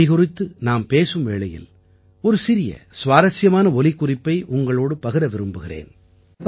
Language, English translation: Tamil, Speaking of language, I want to share a small, interesting clip with you